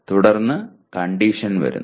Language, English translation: Malayalam, Then come the condition